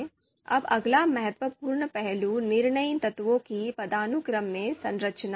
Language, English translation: Hindi, Now the next important aspect is structuring of decision elements into hierarchy